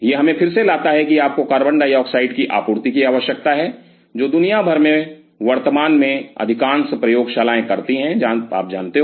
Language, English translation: Hindi, So, that again brings us that you needed a supply of CO2, which most of the labs currently across the world does you know